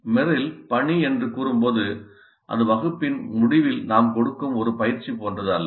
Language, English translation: Tamil, Now when Merrill says task it is not like an exercise problem that we give at the end of the class